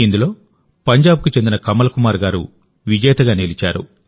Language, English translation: Telugu, In this, the winning entry proved to be that of Kamal Kumar from Punjab